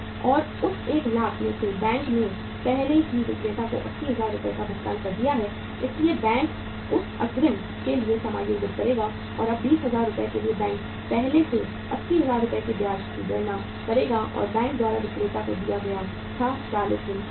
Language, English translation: Hindi, And out of that 1 lakh rupees, bank has already paid 80,000 Rs to the seller so bank will adjust for that advance and now for the 20,000 Rs bank first will calculate the interest of on that 80,000 Rs which were given to the seller by the bank 40 days before